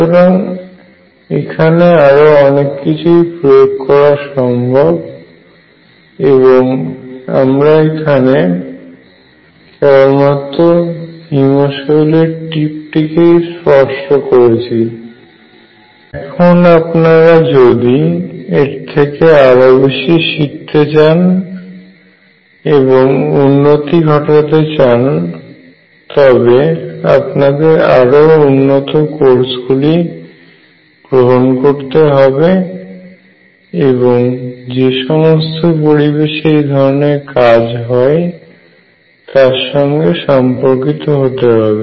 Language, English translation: Bengali, So, there are lot of applications and what we have done is just touch the tip of the iceberg if you want to progress if you want to learn more you have to take more advanced courses and in a surroundings where lot of this work is being done